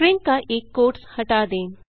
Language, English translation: Hindi, Lets remove one of the quotes of the string